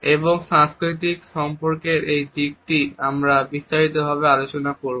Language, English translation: Bengali, And it is this aspect of cultural associations which we will discuss in detail